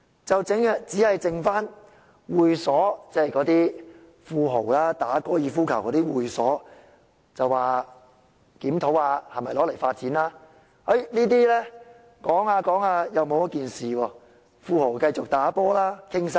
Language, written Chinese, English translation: Cantonese, 只餘下那些會所用地，即富豪打高爾夫球的會所，政府說會檢討是否用作發展，討論過後又沒有跟進，富豪可以繼續"打波"談生意。, As for the remaining land of clubs where rich people play golf the Government said it will review if it will be used for development . But there is no follow - up after discussion so the rich people can keep making business deals during games of golf